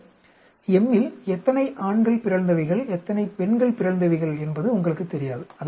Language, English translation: Tamil, You don’t know whether in this m, how many males are mutants and how many females are mutant